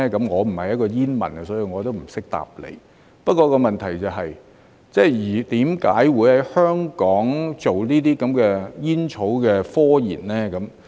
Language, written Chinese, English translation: Cantonese, 我不是一名煙民，所以我也不懂得回答，不過問題是，為何會在香港進行有關煙草的科研呢？, I am not a smoker so I do not know how to answer that but the question is why there is scientific research on tobacco in Hong Kong